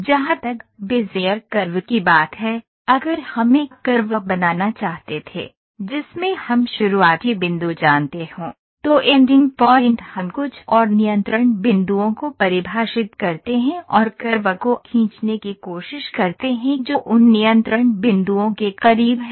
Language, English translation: Hindi, As far as Bezier curve is concerned, if we wanted to draw a curve where in which we know the starting point, ending point we define some more control points and try to draw the curve which is close to those control points